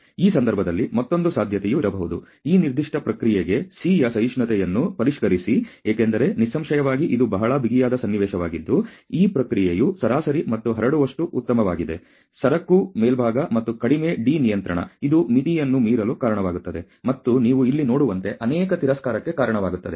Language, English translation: Kannada, So, another possibility could be in this case to sort of probability revise the tolerance of C, if it works out for this particular process, because obviously, it is a very, very tight situation where the process mean and spread of just about good enough to be a commodity to be a upper, and the lower little bit of D control also leads to out runs and many rejects as you can see here